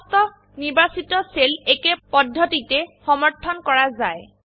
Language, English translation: Assamese, All the selected cells are validated in the same manner